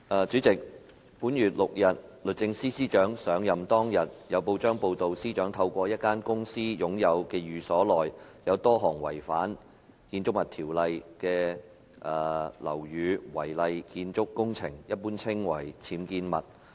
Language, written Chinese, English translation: Cantonese, 主席，本月6日律政司司長上任當天，有報章報道司長透過一間公司擁有的寓所內，有多項違反《建築物條例》的樓宇違例建築工程。, President it was reported in the press on the sixth of this month the day on which the Secretary for Justice SJ took office that there were a number of unauthorized building works UBWs contravening the Buildings Ordinance in SJs residence which she owned through a company